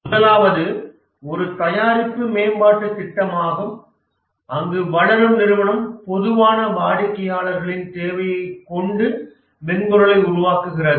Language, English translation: Tamil, So the first one is a product development project where the developing organization has a generic customer requirement and develops the software